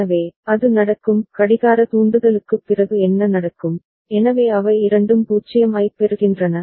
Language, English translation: Tamil, So, it will after clock trigger what will happen, so both of them will get 0